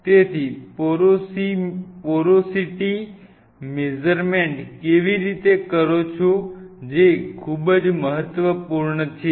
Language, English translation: Gujarati, How you do the porosity measurements that is very important now for the